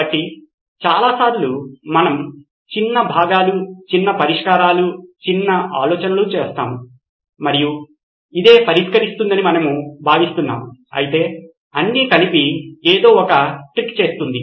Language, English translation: Telugu, So lots of times we look at smaller portions, smaller solutions, smaller ideas and we think this is what will solve it, whereas something put together unity actually would do the trick